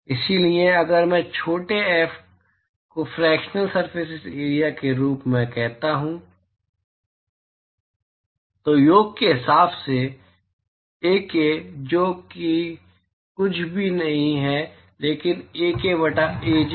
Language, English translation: Hindi, So, if I call small f as the fractional surface area, Ak by sum that is nothing but Ak by Aj